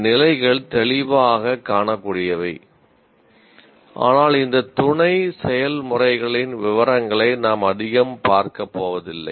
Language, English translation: Tamil, And these levels are distinctly observable, but we will not be going through too much of detail of the sub processes